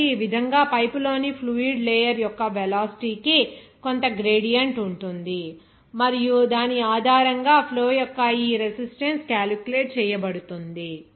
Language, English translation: Telugu, So, in this way, there will be some gradient of the velocity of the fluid layer in the pipe and based on which this resistance of the flow is calculated